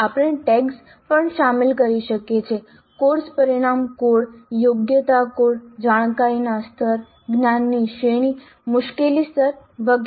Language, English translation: Gujarati, We can also include tags, course outcome code, competency code, cognitive level, knowledge category, difficulty level, etc